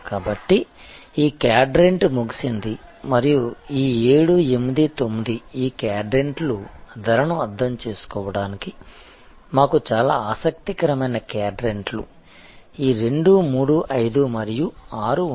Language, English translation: Telugu, So, this quadrant is out and a these 7, 8, 9 these quadrants of out, really speaking the most interesting quadrants for us to understand pricing will be this 2, 3, 5 and 6